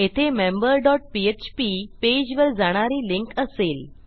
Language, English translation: Marathi, Itll be the member dot php page